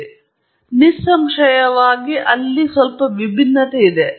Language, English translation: Kannada, So, obviously, there is a bit of contrast there